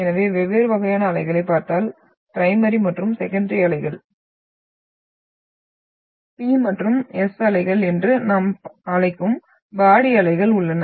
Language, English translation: Tamil, So if you look at the different types of waves, we have the body waves which we call primary and secondary waves, P and S waves